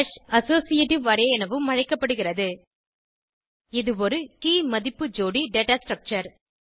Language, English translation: Tamil, Hash is alternatively called as Associative array It is a Key Value pair data structure